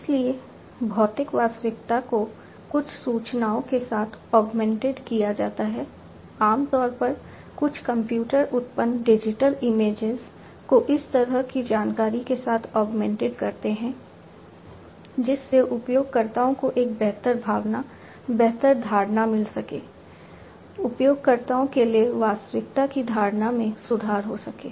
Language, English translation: Hindi, So, physical reality is augmented with certain information, typically, some computer generated digital images augmented with that kind of information to give a better feeling, better, you know, perception to the users, improve perception of the reality to the users